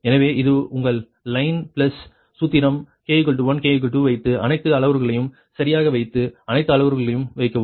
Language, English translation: Tamil, just put k, i is equal to one, k is equal to two, and put all the parameters right and put all the parameters